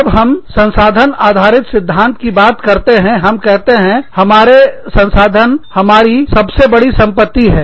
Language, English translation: Hindi, When we talk about, resource based theory, we say, our resources are our biggest assets